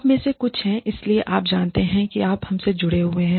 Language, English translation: Hindi, Some of you are, so, you know, you are so connected to us